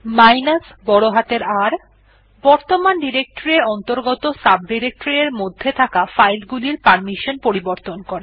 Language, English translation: Bengali, R: To change the permission on files that are in the subdirectories of the directory that you are currently in